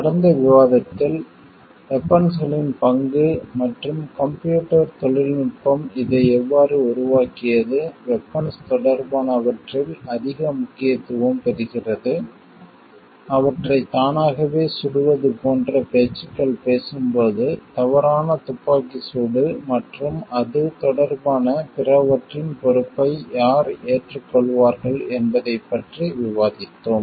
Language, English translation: Tamil, In the last discussion, we have discussed about the role of weapons and how like the computer technology has made this, become more important with related to weapons, when it talks of like firing them automatically, then who takes the onus on in case of wrong firing and other related responsibilities with respect to it